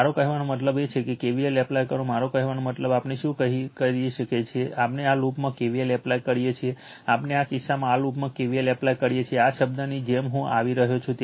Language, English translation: Gujarati, I mean if you do so, if you apply your what you call KVL then, what you call we do is what we can do is we apply KVL in this loop, we apply KVL in this loop in this case, what will happen am coming like this term